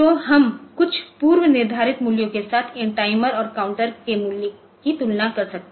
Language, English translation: Hindi, So, we can we can compare the value of these timers and counters with some preset values